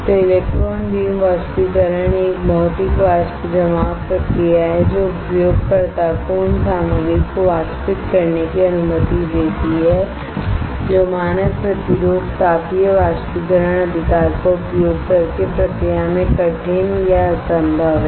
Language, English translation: Hindi, So, electron beam evaporation is a Physical Vapor Deposition process that allows the user to evaporate the materials that are difficult or impossible to process using standard resistive thermal evaporation right